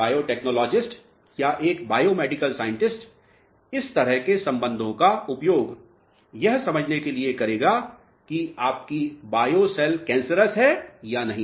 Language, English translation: Hindi, A biotechnologist or a biomedical scientist will be using these types of relationships to understand whether your bio cells are cancerous or not